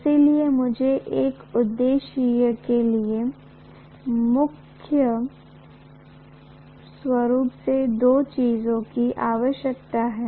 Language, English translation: Hindi, So I need mainly two things for this purpose